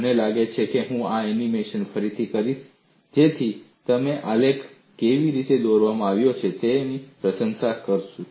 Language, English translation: Gujarati, I think I would redo this animation so that you will be able to appreciate how the graphs have been drawn